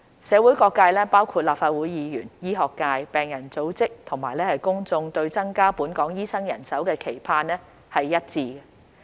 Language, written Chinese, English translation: Cantonese, 社會各界包括立法會議員、醫學界、病人組織及公眾對增加本港醫生人手的期盼是一致的。, The various sectors of the community including Members of the Legislative Council the medical profession patient organizations and the public are aligned in their aspirations for increasing the number of doctors in Hong Kong